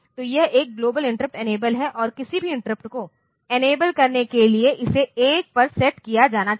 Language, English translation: Hindi, So, it is a global interrupt enabled and it must be set to 1 for any interrupt to be enabled